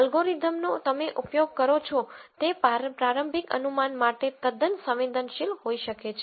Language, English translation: Gujarati, The algorithm can be quite sensitive to the initial guess that you use